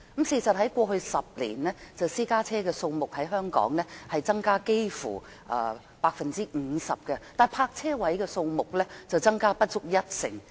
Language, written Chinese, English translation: Cantonese, 事實在過去10年，香港私家車的數目增加了幾乎 50%， 但泊車位的數目卻增加不足一成。, In fact during the past 10 years the number of private cars has increased by nearly 50 % whereas the number of parking spaces has increased only by less than 10 %